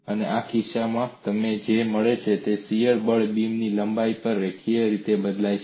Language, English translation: Gujarati, And in this case, what you find is the shear force varies linearly over the length of the beam